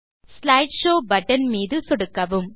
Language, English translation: Tamil, Click on the Slide Show button